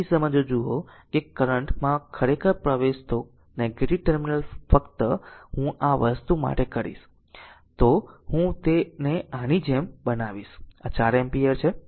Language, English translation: Gujarati, In this case if you look that current actually entering into the negative terminal just I will for your this thing I will just I will make it like this for this one this is 4 ampere: